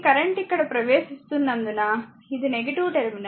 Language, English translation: Telugu, Because it is this current entering here it is the minus terminal